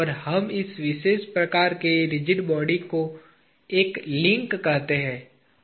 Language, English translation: Hindi, And, we call this particular type of rigid body as a link